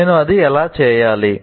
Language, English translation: Telugu, How do I do it